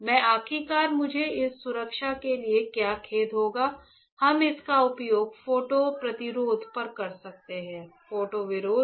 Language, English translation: Hindi, So, that finally, what I will have sorrythis protection we can use it photo resist; photo resist